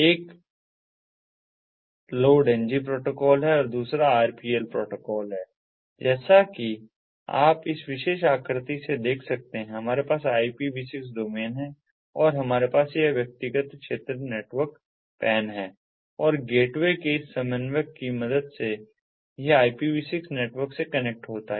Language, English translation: Hindi, one is the load ng protocol, the other one is the rpl protocol and, as you can see over here from this particular figure, we have this ipv six domain and we have this personal area network, a pan, and with the help of this coordinator of the gateway it connects to the ipv six network